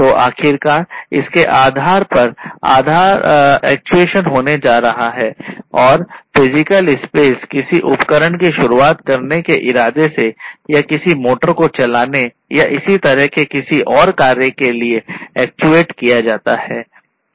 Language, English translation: Hindi, So, finally, based on that the actuation is going to happen and the physical space will be actuated with the intention of you know starting some device or operating some, you know, some motor or anything like that